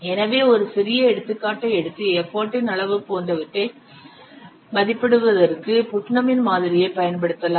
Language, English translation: Tamil, So, let's take a small example and apply Putnam's model for estimating this size, e foot, etc